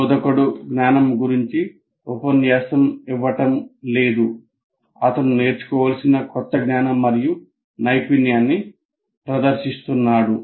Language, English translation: Telugu, We are not saying lecturing about the knowledge, demonstrating the new knowledge and skill to be learned